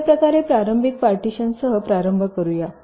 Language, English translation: Marathi, we start with a initial partition